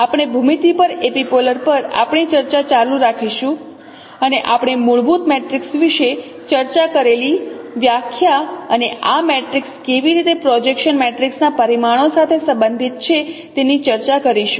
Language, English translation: Gujarati, We will continue our discussion on epipolar geometry and we are discussing the definition we discussed about fundamental matrix and how this matrix is related with the parameters of projection matrices